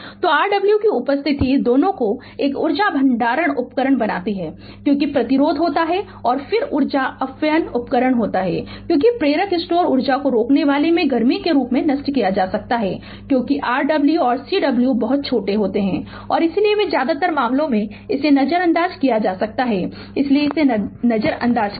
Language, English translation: Hindi, So, the presence of Rw makes both an energy storage device because resistance is there and then energy dissipation device right because, inductor store energy can be dissipated in the form of a heat say in the resistor since Rw and Cw are very very small and hence they can be ignored right in most of the cases so we will ignore that